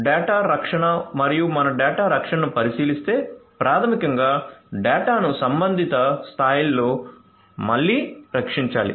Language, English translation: Telugu, So, data protection and so if we look at the data protection, then basically the data has to be protected at again the respective levels